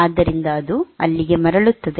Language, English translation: Kannada, So, it returns there